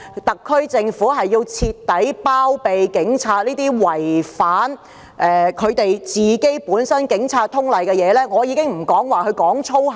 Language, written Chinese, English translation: Cantonese, 特區政府是否要徹底包庇這些違反《警察通例》的警察？, Is the SAR Government trying to give full protection to these rule - breaking police officers behind the shield?